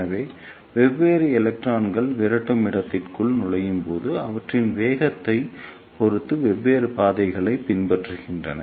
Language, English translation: Tamil, Now, since these electrons have different velocities in this repeller space, so they will travel different distances in the repeller space depending upon the velocities